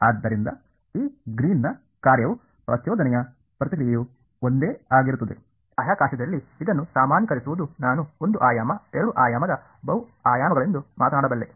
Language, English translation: Kannada, So, this greens function is the same as an impulse response is nothing different; what will get generalized this in space I can talk a one dimension two dimension multiple dimensions right